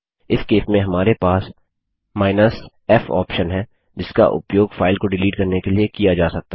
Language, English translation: Hindi, In this case we have the f option which can be used to force delete a file